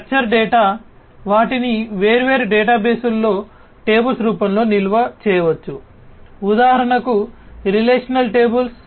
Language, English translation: Telugu, Structure data are the ones which could be stored in the form of tables in different databases; for example, relational tables, right